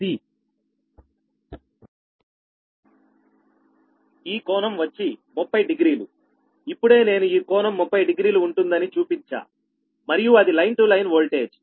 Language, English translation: Telugu, just now i showed this angle will be thirty degree and is line to line voltage